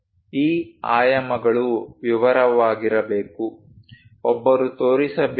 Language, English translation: Kannada, These dimensions supposed to be in detail one has to show